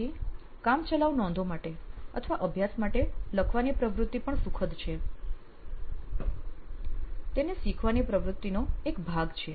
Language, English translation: Gujarati, Then writing for practice or running notes is also happy it is part of his learning activity